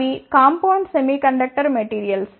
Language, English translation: Telugu, They are the compound semiconductor materials